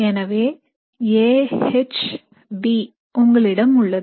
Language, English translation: Tamil, So you have A H B